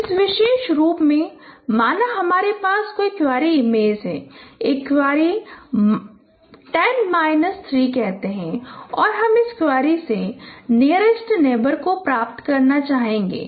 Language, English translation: Hindi, And in this particular so any query image suppose you have a you have a query say 10 minus 3 and we would like to get the nearest neighbor from this query